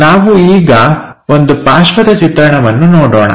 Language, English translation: Kannada, Now, let us look at side view